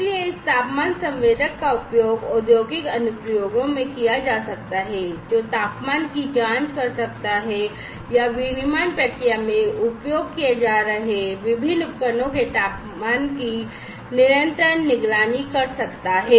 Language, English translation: Hindi, So, this temperature sensor could be used in industrial applications, to check the temperature or to monitor continuously monitor the temperature of the different devices that are being used in the manufacturing process